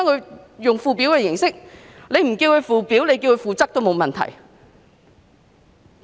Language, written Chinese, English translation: Cantonese, 使用"附則"一詞代替"附表"也沒有問題。, It is alright to use the term Annex to replace the word Schedule